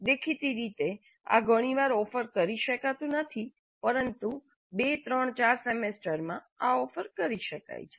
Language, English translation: Gujarati, Obviously this cannot be offered too often but certainly in 2 3 4 semesters this can be offered